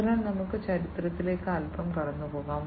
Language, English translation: Malayalam, So, let us now go through the history a bit